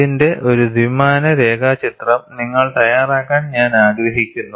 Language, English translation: Malayalam, And I would like you to make a two dimensional sketch of this